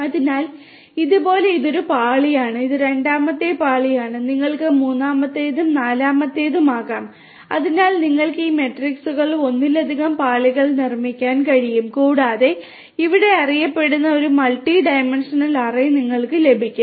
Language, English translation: Malayalam, So, like this, this is one layer and this is the second layer you could have the third one also, fourth one also so you can build multiple layers of these matrices and you are going to get a multi dimensional array which is over here known as the array in R and then you have this list